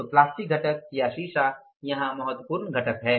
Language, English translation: Hindi, So, plastic component is the or the glass plastic component that is the important component here